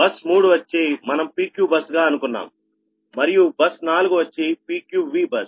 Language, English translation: Telugu, bus three is a pq bus and bus four is pqv bus, right